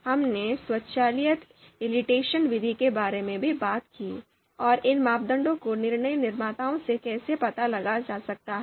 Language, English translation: Hindi, We also talked about automatic you know elicitation method, you know how you know these you know parameters can be you know can be inferred from decision makers